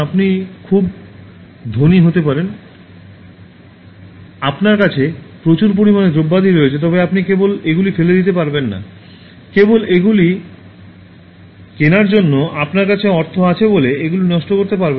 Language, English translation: Bengali, You may be very rich, so you have lot of materials at your disposal, but you cannot just throw them out and then waste them just because you have money at your disposal to buy them